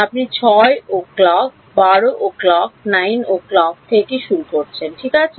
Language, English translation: Bengali, You are starting at 6 o’ clock, 12 o’ clock, 9 o’ clock ok